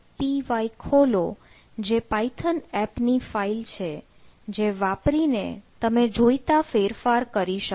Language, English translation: Gujarati, y, that python file in the python app to make the changes